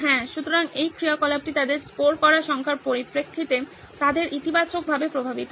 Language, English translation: Bengali, So that is, this activity is positively affecting them in terms of the marks that they are scoring